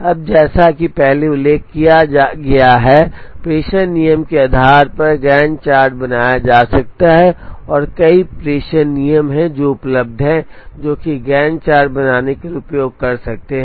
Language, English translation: Hindi, Now, as mentioned earlier, depending on the dispatching rule the Gantt chart can be created, and there are several dispatching rules that are available which one can use to create Gantt charts